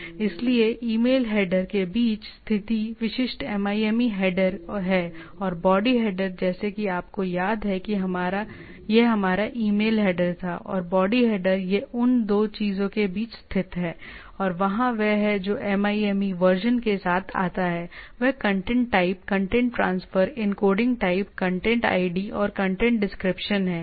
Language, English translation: Hindi, So, there are typical MIME headers located between the email header, and the body header like if you remember this was our email header, and the body header and it lies between these 2, and there is that comes with a MIME version; that is, type of a content type, contents transfer encoding type, content id and content description